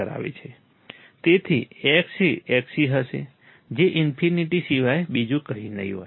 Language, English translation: Gujarati, So, X would be Xc, would be nothing but infinite